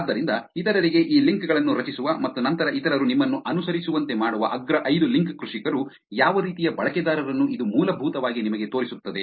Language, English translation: Kannada, So, it just basically shows you what kind of users of the top five link farmers which is creating these links to others and then getting others to follow you back